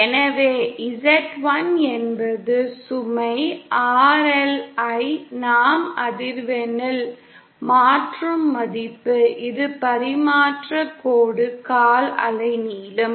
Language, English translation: Tamil, So Z 1 is the value to which we convert the load RL at the frequency for which the transmission line is a quarter wave length